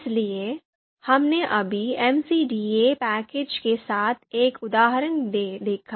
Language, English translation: Hindi, So we we just saw one example with the MCDA package